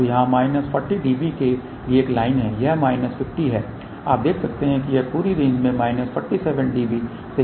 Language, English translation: Hindi, So, here is a line for minus forty db this is minus 50 you can see that this is less than minus 47 db over the entire range